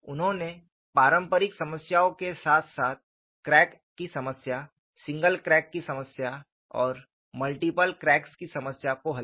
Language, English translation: Hindi, He solved conventional problems as well as problems involving crack, problems involving single crack as well as multiple cracks